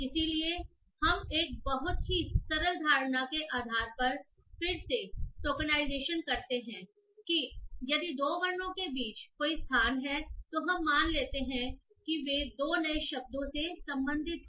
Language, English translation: Hindi, So, we do tokenization again based on a very simple notion that if there is a space between two characters, we assume that they belong to two different words